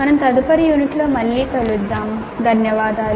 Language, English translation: Telugu, Thank you and we'll meet again in the next unit